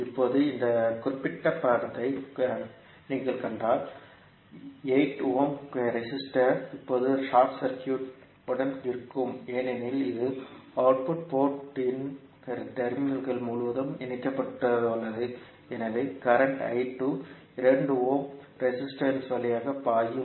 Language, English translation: Tamil, Now, if you see this particular figure, the 8 ohm resistor will be now short circuited because it is connect across the terminals of the output port so the current I 2 will be flowing through 2 ohm resistance